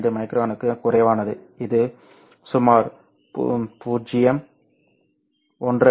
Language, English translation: Tamil, 15 micron, which would be about 0